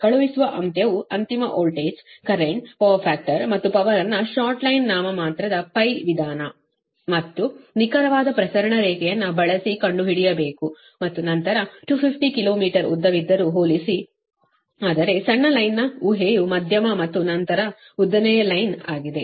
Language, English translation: Kannada, you have to find out the sending end, find the sending end voltage, current power factor and power using short line, nominal pi method and exact transmission line and then compare, although line is two fifty kilo meter long, but you consider short line assumption, then medium and then long line, right, so will use the same data